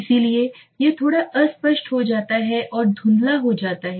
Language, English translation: Hindi, So that is why it becomes little nebulous and it becomes hazy